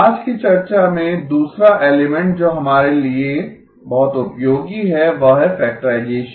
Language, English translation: Hindi, The other element that is very useful for us in today's discussion is the factorization